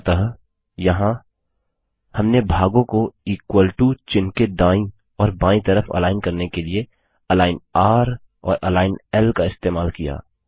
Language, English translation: Hindi, So here, we have used align r and align l to align the parts to the right and the left of the equal to character